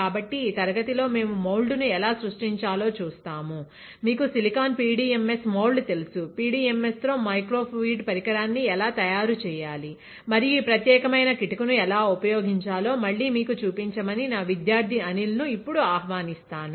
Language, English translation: Telugu, So, in this class, we will see the mould and how to create the; you know silicon PDMS moulding, how to fabricate microfluidic device with PDMS and the; I will invite now my student Anil to again show it to you, how to use this particular technique, right